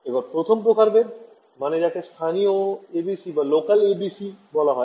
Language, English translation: Bengali, So, the first variety is what is what would be called local ABC ok